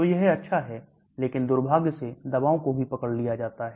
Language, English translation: Hindi, So it is good, but unfortunately drugs are also caught up